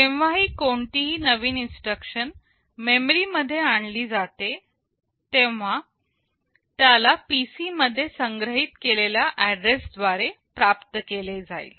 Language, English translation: Marathi, Whenever a new instruction is brought or fetched from memory it will be fetched from the address which is stored in the PC